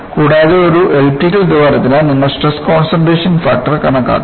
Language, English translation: Malayalam, And, for an elliptical hole, you can calculate the stress concentration factor